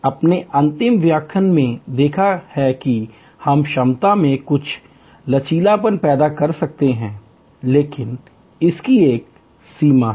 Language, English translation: Hindi, You have seen in the last lecture, how we can create some flexibility in the capacity, but that has limitation